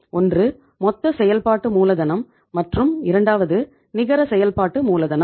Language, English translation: Tamil, One is the gross working capital and second is the net working capital